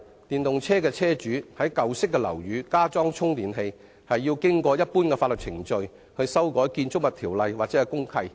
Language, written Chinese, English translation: Cantonese, 現時，電動車車主擬在舊式樓宇加裝充電器，要經過一般的法律程序去修改公契。, At present if an EV owner wants to retrofit a charger to an old building he must follow the standard legal procedures of amending the deed of mutual covenant